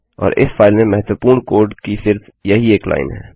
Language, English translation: Hindi, And that is the only line of significant code in this file